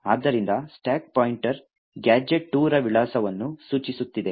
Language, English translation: Kannada, Therefore, the stack pointer is pointing to the address gadget 2